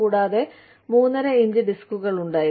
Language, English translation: Malayalam, And, we had 3 1/2 inch disks